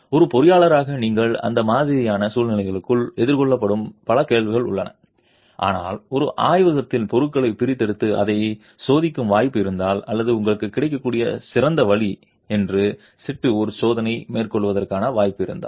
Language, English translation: Tamil, There are several questions that you as an engineer will be faced with in that sort of a situation but if there is a possibility of extracting material and testing it in a laboratory or carrying out a test in situ that is the best option that is available to you